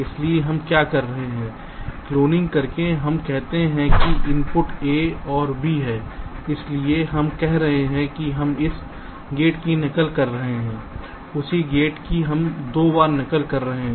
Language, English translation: Hindi, lets say the inputs are a and b, so we are saying that we are replicating this gate, same gate, we are replicating twice